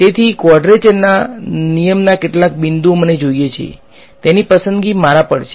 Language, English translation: Gujarati, So, the choice of how many points of quadrature rule that I want it is up to me